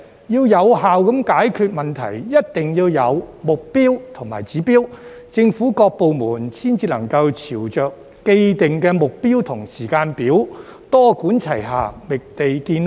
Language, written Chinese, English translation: Cantonese, 要有效解決問題，一定要有目標和指標，政府各部門才能朝着既定目標及時間表，多管齊下，覓地建屋。, To solve the problem effectively there must be targets and indicators so that government departments can work towards such targets and timetables and take a multi - pronged approach to identify land for housing construction